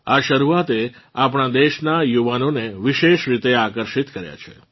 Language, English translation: Gujarati, This beginning has especially attracted the youth of our country